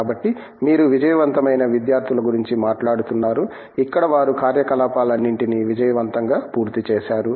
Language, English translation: Telugu, So, you were speaking about you know the successful students who complete all their activities here successful and so on